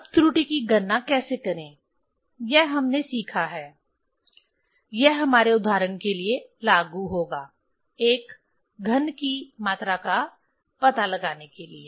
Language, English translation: Hindi, Now how to calculate error; so that we have learned, this will apply for our example that to find out the volume of a cube